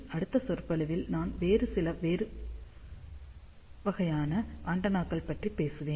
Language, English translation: Tamil, In the next lecture, I will talk about some different types of antennas